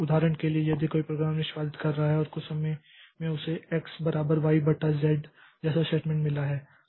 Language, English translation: Hindi, For example, if a program is executing and at some point of time it has got a statement like x equal to y by z